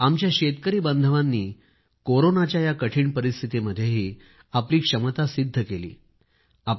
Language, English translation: Marathi, Even during these trying times of Corona, our farmers have proven their mettle